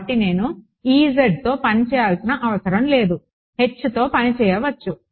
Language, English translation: Telugu, So, I need not work with Ez I can work with H